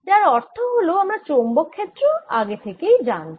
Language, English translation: Bengali, so i already know the answer for magnetic field